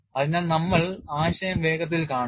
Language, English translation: Malayalam, So, we will just quickly see the concept